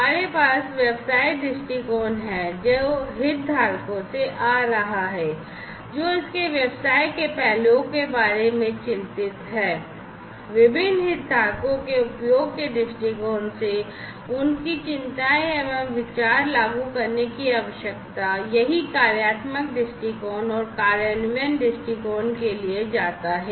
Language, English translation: Hindi, So, we have the business viewpoint which is coming from the stakeholders, who are concerned about the business aspects of it, usage viewpoint from the usage viewpoint of different stakeholders what are the concerns what are the ideas that will need to be implemented, same goes for the functional viewpoint and the implementation viewpoint